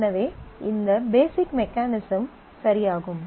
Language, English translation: Tamil, So, this is the basic mechanism ok